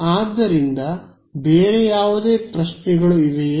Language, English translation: Kannada, So, any other questions ok